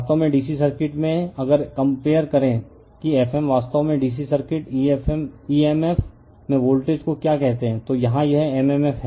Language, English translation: Hindi, So, actually in the DC circuit, if you compare that F m actually like your what you call the voltage in DC circuit emf right, here it is m m f